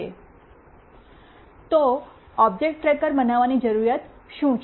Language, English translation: Gujarati, So, what is the requirement for building an object tracker